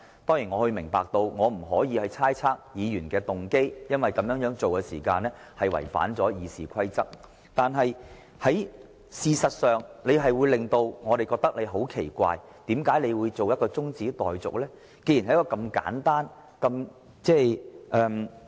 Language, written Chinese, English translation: Cantonese, 當然，我明白我不可以猜測議員的動機，因為這違反《議事規則》，但盧議員這樣做確實令我們覺得很奇怪，不明白為何他要動議將辯論中止待續。, I certainly understand that I cannot speculate on the motive of Members because this violates RoP but we find Ir Dr LOs act rather odd and we fail to understand why he moved a motion to adjourn the debate